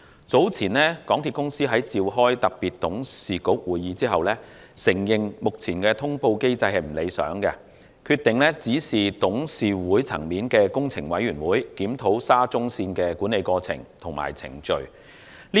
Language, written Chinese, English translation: Cantonese, 早前港鐵公司在召開特別董事局會議後，承認目前的通報機制不理想，決定指示董事局轄下的工程委員會檢討沙田至中環線的管理過程和程序。, Earlier MTRCL admitted after a special board meeting that its existing reporting mechanism was flawed . It then decided to instruct the Capital Works Committee under the board to review the management processes and procedures of the Shatin to Central Link